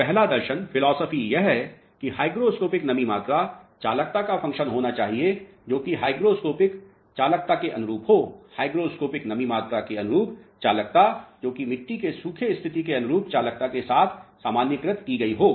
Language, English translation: Hindi, So, the first philosophy is hygroscopic moisture content should be a function of conductivity corresponding to hygroscopic conductivity; conductivity corresponding to hygroscopic moisture content, normalized in with conductivity corresponding to the dried condition of the soil mass of the geomaterial